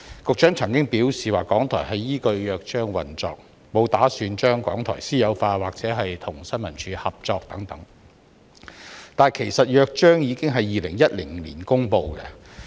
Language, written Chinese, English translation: Cantonese, 局長曾表示港台依據《約章》運作，沒有打算把港台私有化或讓其與政府新聞處合作，但《約章》其實早在2010年已經公布。, The Secretary once said that as RTHK operated in accordance with the Charter the Government had no intention to privatize RTHK or let it cooperate with the Information Services Department but the Charter was promulgated as early as in 2010